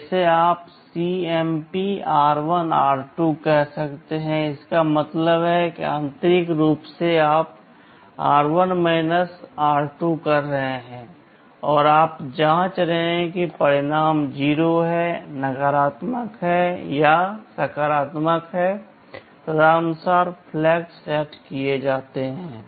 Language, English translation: Hindi, Like you can say CMP r1,r2; that means, internally you are doing r1 r2 and you are checking whether result is 0, negative or positive, accordingly the flags will be set